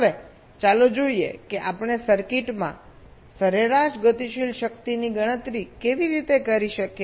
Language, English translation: Gujarati, how we can calculate the average dynamic power in a circuit